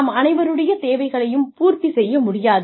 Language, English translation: Tamil, Obviously, everybody's needs, cannot be catered to